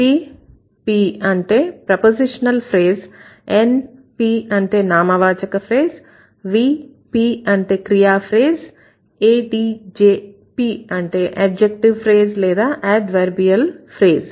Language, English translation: Telugu, for example would be a prepositional phrase and np would be a noun phrase and vp would be a verb phrase and there are also adjp or adp either it is adjective or adverbial phrases